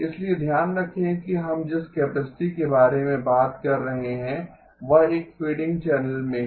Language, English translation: Hindi, So keep in mind that the capacity that we are talking about is in a fading channel